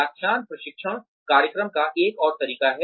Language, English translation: Hindi, Lectures is another way of, on the job of training program